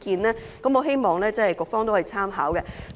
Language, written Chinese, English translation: Cantonese, 我希望局方可以參考有關意見。, I hope the Bureau can take on board the views concerned